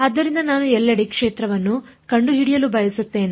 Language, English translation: Kannada, So, I want to find the field everywhere